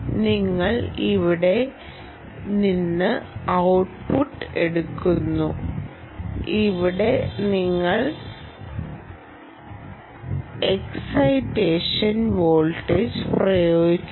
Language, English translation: Malayalam, you take output from here and here you apply sorry, you apply the excitation voltage